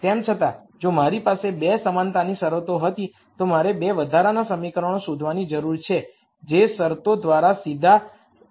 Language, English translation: Gujarati, Nonetheless if I had 2 equality constraints I need to find the 2 extra equations which are directly given by the constraints